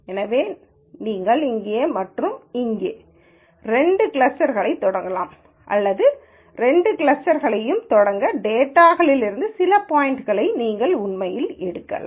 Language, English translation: Tamil, So, you could start off two clusters somewhere here and here or you could actually pick some points in the data itself to start these two clusters